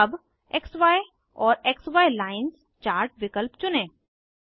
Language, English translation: Hindi, Let us choose XY and XY Lines chart option